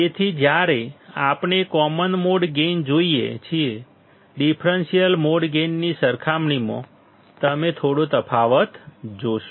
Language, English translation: Gujarati, So, when we see common mode gain; you will see a little bit of difference when compared to the differential mode gain